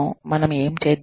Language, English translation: Telugu, What do we do